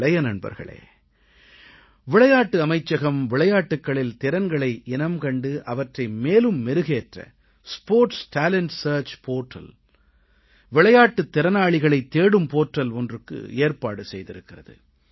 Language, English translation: Tamil, Young friends, the Sports Ministry is launching a Sports Talent Search Portal to search for sporting talent and to groom them